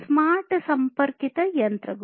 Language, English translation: Kannada, Smart connected machines